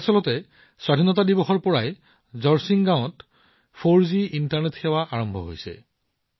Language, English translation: Assamese, In fact, in Jorsing village this month, 4G internet services have started from Independence Day